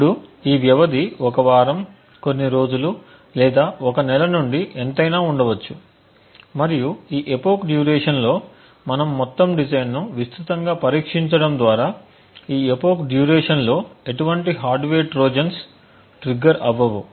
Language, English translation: Telugu, Now this duration could be anywhere say from 1 week, few days or even a month and what we assume here is that this during this epoch period we have extensively tested the entire design so that no hardware Trojans get triggered within this a particular epoch period